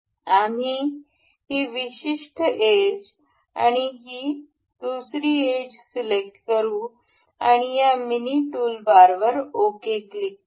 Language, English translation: Marathi, We will select this particular edge and this edge and we will click ok in this mini toolbar